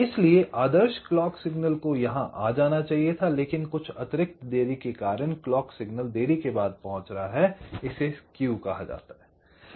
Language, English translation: Hindi, so the ideal clock should have come here, but because of some additional delays, the clock is reaching after some delay